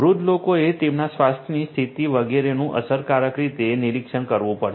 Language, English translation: Gujarati, Elderly people monitoring their health condition etcetera efficiently will have to be done